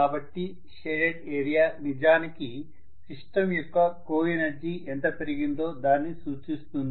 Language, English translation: Telugu, So the shaded area actually represents increase in co energy of the system